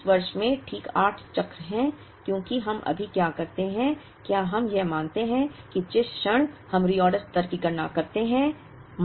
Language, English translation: Hindi, There are exactly 8 cycles in this year because what we do right now, is we assume that, the moment we compute the reorder level